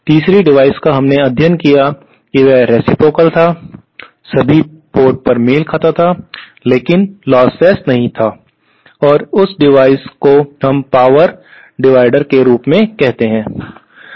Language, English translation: Hindi, And the 3rd device that we studied was reciprocal, matched at all ports but not lossless, and that device we call it as power dividers